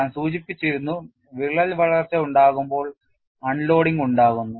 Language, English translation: Malayalam, I had mentioned, when there is crack growth, there is unloading